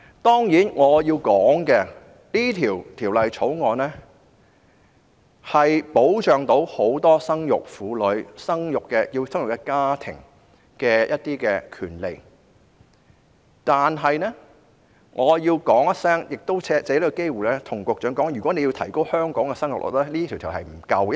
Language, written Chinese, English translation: Cantonese, 當然，《條例草案》能夠保障很多生育婦女、要生育的家庭的一些權利，但我要說一聲，亦藉此機會對局長說，如果要提高香港的生育率，這項條例並不足夠。, Admittedly the Bill can protect the rights of a lot of pregnant women and families who want to have children . Nonetheless I have to say and also take this opportunity to tell the Secretary that if we want to raise the fertility rate of Hong Kong this Bill alone is not sufficient